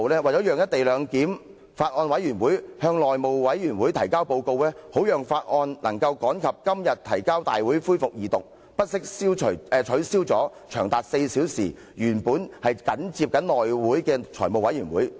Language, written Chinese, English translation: Cantonese, 為了讓法案委員會向內務委員會提交報告，好讓《條例草案》能趕及今天提交大會恢復二讀辯論，原訂於上月25日緊接內務委員會會議舉行的4小時財務委員會會議遭到取消。, In order for the Bills Committee to submit its report to the House Committee so that the Bill could be tabled in time to have its Second Reading debate resumed at todays Council meeting the four - hour Finance Committee meeting scheduled to be held immediately after the House Committee meeting on the 25 of last month was cancelled